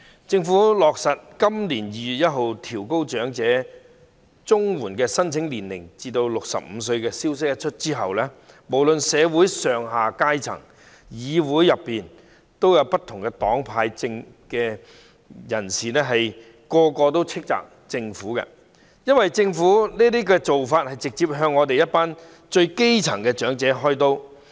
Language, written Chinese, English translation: Cantonese, 政府落實在今年2月1日起將長者綜援的合資格年齡提高至65歲，消息一出，社會上下各階層以及議會內不同黨派的議員無不狠批，因為政府這種做法是直接向一群最基層的長者"開刀"。, The Government has decided to raise the eligible age for elderly Comprehensive Social Security Assistance CSSA to 65 beginning on 1 February this year . As soon as the news was released it was severely criticized by all sectors of society and Members of different political affiliations in the Legislative Council because such an act of the Government is directly targeted at elderly at the grass - roots level